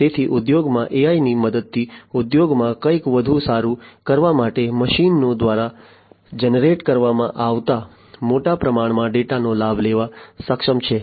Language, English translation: Gujarati, So, with the help of AI in industries, in the industries are capable of taking the advantage of large amount of data that is generated by the machines to do something better